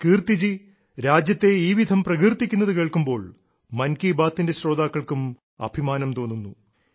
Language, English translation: Malayalam, Kirti ji, listening to these notes of glory for the country also fills the listeners of Mann Ki Baat with a sense of pride